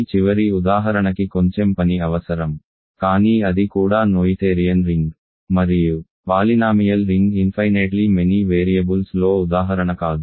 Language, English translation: Telugu, This last example requires a little bit work, but that also is a that also is a noetherian ring and a non example is a polynomial ring in infinitely many variables